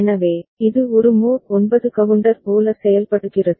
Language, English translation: Tamil, So, it behaves like a mod 9 counter ok